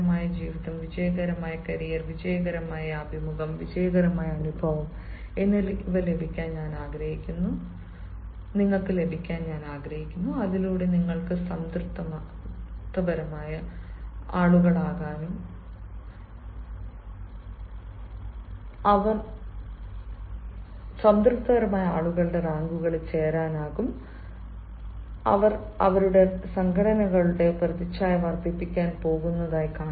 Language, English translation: Malayalam, let me tell you goodbye, let me also tell you, let me also wish you to have a successful life, a successful career, a successful interview and a successful experience, so that you can be joining the ranks of satisfied people who are going to enhance the image of their organizations that they are in